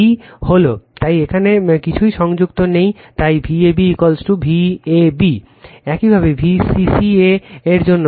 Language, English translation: Bengali, is B, so nothing is connected here So, V ab is equal to V AB right, similarly for B cc a right